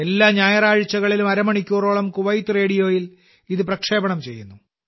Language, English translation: Malayalam, It is broadcast every Sunday for half an hour on Kuwait Radio